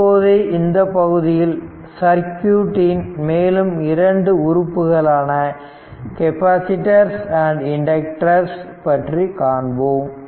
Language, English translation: Tamil, So, in this chapter we shall introduce that two additional circuit elements that is your capacitors and inductors right